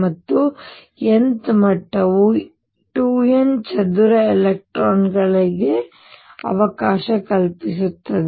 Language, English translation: Kannada, And n th level can accommodate 2 n square electrons